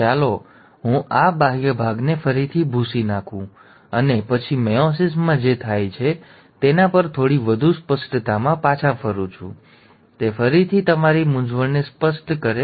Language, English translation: Gujarati, So let me just erase this outer bit again, and then come back to what happens in meiosis a little more in clarity, so that it clarifies your confusion again